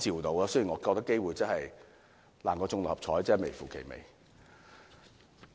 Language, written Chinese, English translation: Cantonese, 但是，我認為機會比中六合彩還要低，真是微乎其微。, But this is even more unlikely than winning the Mark Six Lottery . The chance is almost zero